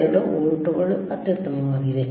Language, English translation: Kannada, 92 volts, excellent